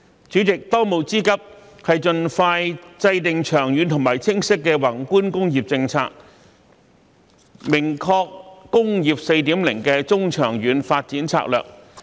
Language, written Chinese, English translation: Cantonese, 主席，當務之急是盡快制訂長遠和清晰的宏觀工業政策，明確"工業 4.0" 的中、長遠發展策略。, President the urgent task now is to formulate a longstanding and clear macro industrial policy expeditiously to define the medium and long - term development strategies under Industry 4.0